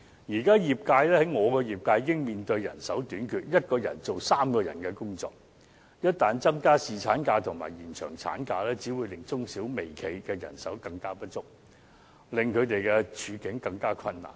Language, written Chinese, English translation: Cantonese, 現時我的業界已經面對人手短缺 ，1 人要做3人的工作，一旦增加侍產假和延長產假，只會令中小微企的人手更不足，令他們的處境更困難。, Now my industry already faces a manpower shortage . One person has to do three peoples work . Once paternity leave is increased and maternity leave extended it will only aggravate the manpower shortage in SMEs and micro enterprises making their situation even more difficult